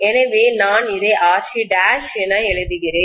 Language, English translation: Tamil, So I am writing that as RC dash